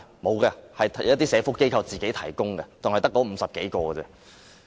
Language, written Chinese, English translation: Cantonese, 沒有的，只有一些社福機構才會提供，並且只有50多人而已。, No only some welfare organizations will do that and there are just more than 50 of them